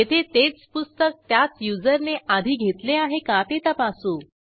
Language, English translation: Marathi, Here, we check if the same book has already been issued by the same user